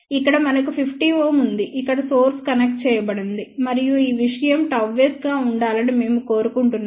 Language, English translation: Telugu, Here we have 50 ohm where source is connected and we want this thing to be gamma s